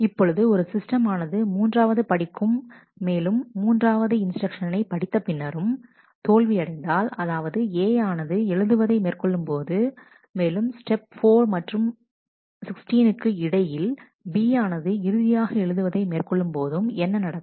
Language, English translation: Tamil, Now, what happens if the system fails between step 3 and after step 3 when A has been written and between before step 4 step 6 when B has finally, been written